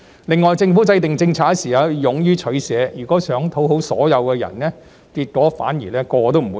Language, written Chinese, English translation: Cantonese, 另外，政府制訂政策時要勇於取捨，如果想討好所有人，結果反而會令人人都不滿意。, In addition the Government should have the courage to make choices in the course of policy formulation . If it tries to please everyone it will end up dissatisfying everyone instead